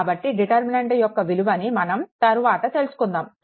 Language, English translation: Telugu, So, where this determinant that will see later